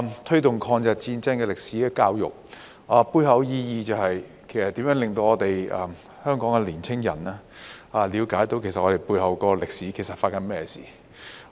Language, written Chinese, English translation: Cantonese, 推動抗日戰爭歷史的教育，背後意義是如何令香港的年輕人了解背後的歷史其實發生了甚麼事。, Regarding the promotion of education on the history of War of Resistance against Japanese Aggression its underlying meaning is how we can enable young people in Hong Kong to understand what actually happened during this period of history